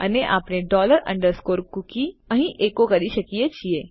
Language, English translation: Gujarati, And we can echo out dollar underscore cookie here